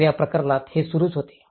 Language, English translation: Marathi, So, in this case, it was continuing